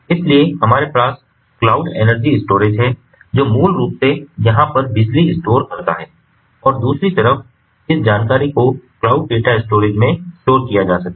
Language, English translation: Hindi, so we have the cloud energy storage, which which basically stores the electricity over here, and, on the other hand, this information can be stored in the cloud data storage